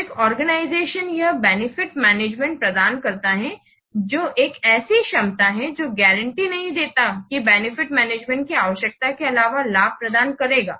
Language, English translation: Hindi, So this benefit management, it provides an organization with a capability that does not guarantee that this will provide benefits in this, need for benefits management